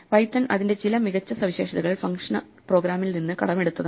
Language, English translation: Malayalam, Python has actually borrowed some of itÕs nice features from functional programming